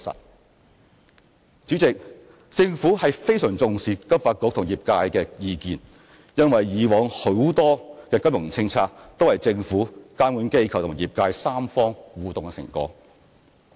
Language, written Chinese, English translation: Cantonese, 代理主席，政府非常重視金發局與業界的意見，因為以往很多金融政策都是政府、監管機構及業界三方互動的成果。, Deputy President the Government attaches very great importance to the views of FSDC and the sector since many financial policies formulated in the past were results of the interactions among the three parties of the Government regulatory bodies and the sector